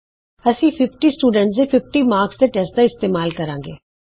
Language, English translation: Punjabi, First we will use the marks of 50 students in a 50 mark test